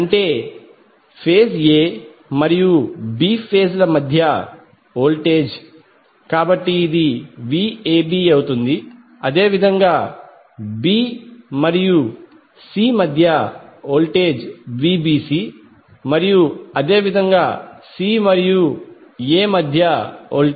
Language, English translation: Telugu, That means the voltage between A phase and B phase, so this will be your VAB then similarly the voltage between B and C is the VBC and similarly again between C and A will be VCA